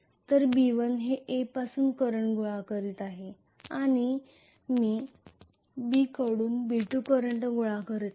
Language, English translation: Marathi, So B1 is collecting the current from A and I am going to have B2 collecting current from capital B